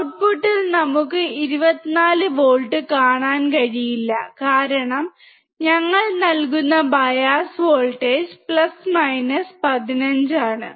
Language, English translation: Malayalam, We cannot see 24V at the output because the bias voltage that we are giving is + 15